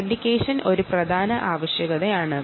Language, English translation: Malayalam, authentication is a very important thing